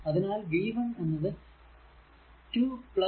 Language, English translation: Malayalam, So, v 1 will be 2 plus 2